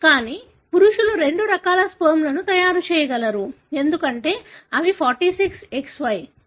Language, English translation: Telugu, But, the males are capable of making two different types of sperms, because they are 46XY